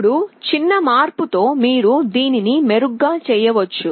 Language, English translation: Telugu, Now with a small modification you can make an improvement